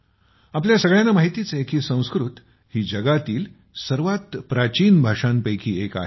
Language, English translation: Marathi, We all know that Sanskrit is one of the oldest languages in the world